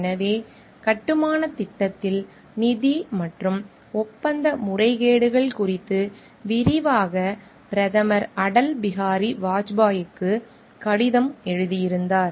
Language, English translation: Tamil, So, he had written to the Prime Minister Atal Bihari Vajpayee detailing the financial and contractual irregularities in the construction project